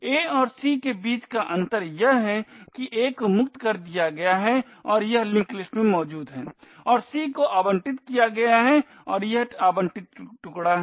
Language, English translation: Hindi, The difference between a and c is that a is freed and it is present in the linked list and c is allocated and it is an allocated chunk